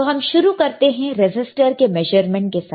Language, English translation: Hindi, So, we will start with measuring the resistor